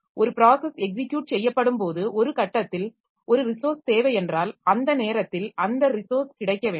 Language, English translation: Tamil, So, as when a process is executing, so if it finds that at some point I need a resource, that resource ideally it should be available at that point of time